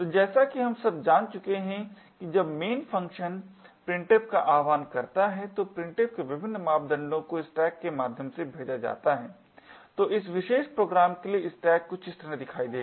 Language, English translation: Hindi, So, as we know by now that when main invokes printf, the various parameters to printf are passed via the stack, so the stack for this particular program would look something like this